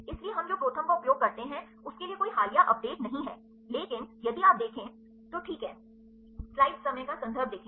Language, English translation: Hindi, So, for what we use ProTherm there is no recent updates but if you go to the references ok, reference if you see